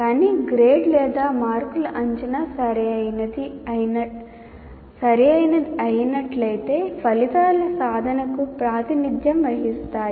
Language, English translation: Telugu, But the grade or marks will represent the attainment of outcomes provided